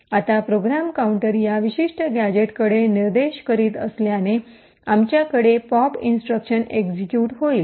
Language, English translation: Marathi, Now since the program counter is pointing to this particular gadget, we would have the pop instruction getting executed